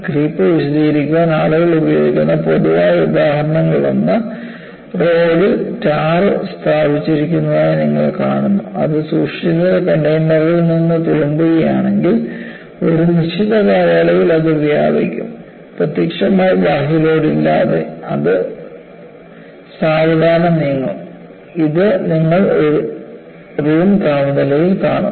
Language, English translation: Malayalam, See, one of the common examples that people would use to explain creep is, you find the tar put on the road, if it spills out of the container that this kept, over a period of time it will spread, without apparent external load, it will keep on creeping slowly, it will move, this you see at room temperature